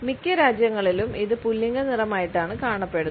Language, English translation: Malayalam, In most countries, it is viewed as a masculine color